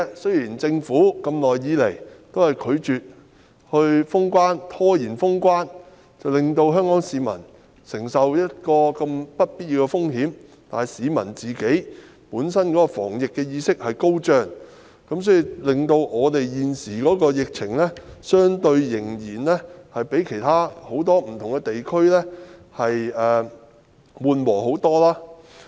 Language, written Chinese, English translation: Cantonese, 雖然政府一直拒絕及拖延封關，令香港市民承受不必要的風險，但市民自己的防疫意識很高，所以，現時香港的疫情相對很多其他地區較為緩和。, Though Hong Kong people have been exposed to unnecessary risks with the Government continuously refusing and delaying closure of boundary control points the epidemic has currently abated in Hong Kong as compared with many other regions as the public has a strong awareness of epidemic prevention